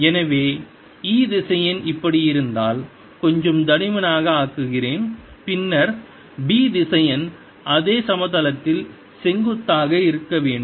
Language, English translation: Tamil, so if e vector is like this let me make a little thick then b vector has to be perpendicular to this in the same plane